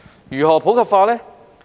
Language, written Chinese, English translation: Cantonese, 如何普及化呢？, How can this be done?